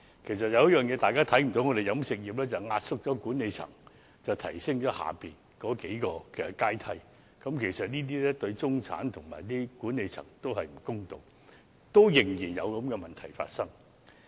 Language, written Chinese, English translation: Cantonese, 其實有一點是大家不知道的，便是飲食業壓縮了管理層來提升其下數個階層的待遇，這對中產及管理層也不公道，但現時仍然有這樣的問題。, Actually there is one thing that Members may not know and that is the catering industry has to compress the management in order to increase the wages and benefits for the several levels of staff under it . This is not fair to the middle class and the management but this problem still exists now